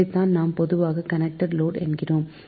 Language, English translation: Tamil, so these are the commonly known as a connected load